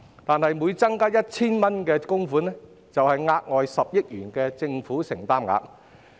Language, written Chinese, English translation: Cantonese, 但是，每增加 1,000 元供款，便相當於額外10億元的政府承擔額。, However an increase of 1,000 in the contribution will be equivalent to an increase of 1 billion in the Governments financial commitment